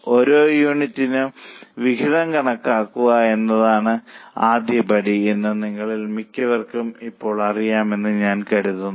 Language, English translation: Malayalam, I think most of you know by now that the first step is calculating the contribution per unit